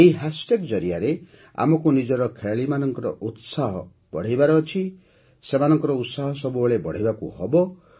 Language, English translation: Odia, Through this hashtag, we have to cheer our players… keep encouraging them